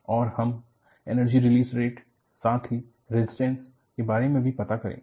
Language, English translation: Hindi, And, we will also talk about Energy Release Rate, as well as the resistance